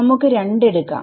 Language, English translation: Malayalam, We are taking T 2 a 2